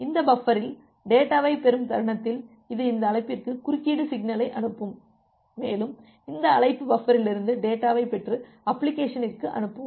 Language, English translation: Tamil, And the moment you receive the data in this buffer, it will send the interrupt signal to this call and this call will get the data from this buffer and send it to the application